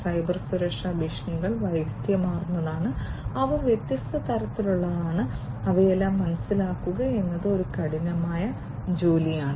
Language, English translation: Malayalam, Cybersecurity threats are varied, they are of different types and going through and understanding all of them is a herculean task, by itself